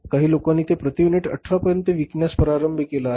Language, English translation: Marathi, Some of the people have started selling it at 18 rupees per unit